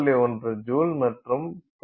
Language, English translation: Tamil, 1 jule and 0